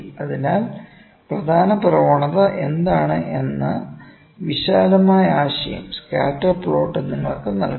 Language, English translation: Malayalam, So, scatter plot is giving you the broad idea that what is the major trend